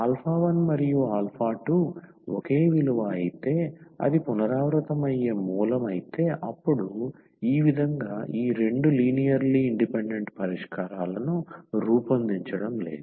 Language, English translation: Telugu, If alpha 1 alpha 2 are the same value it’s a repeated root then we are not forming these two linearly independent solutions in this way